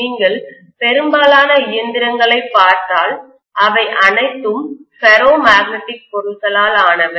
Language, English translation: Tamil, If you look at most of the machines, they are all made up of ferromagnetic material